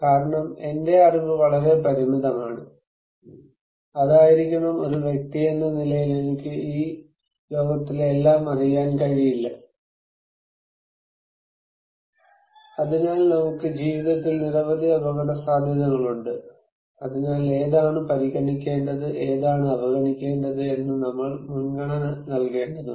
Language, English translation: Malayalam, Because my knowledge is very limited and that should be, being an individual I cannot know everything in this world, so we have many risks at life so, we need to prioritize which one to consider, which one to ignore